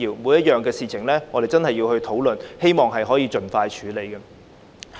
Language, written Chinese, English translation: Cantonese, 每個項目也要進行討論，希望能夠盡快處理。, Every item has to be discussed so that it can be dealt with expeditiously